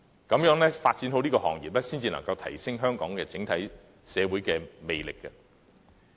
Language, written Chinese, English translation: Cantonese, 行業發展良好，才有助提升香港整體社會的魅力。, Sound development of such industries are conducive to enhancing the citys charm on the whole